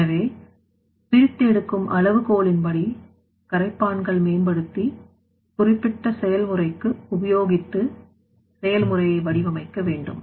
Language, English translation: Tamil, So, based on that separation criteria you have to develop that solvents or you have to use the solvents for the particular process and accordingly your process should be designed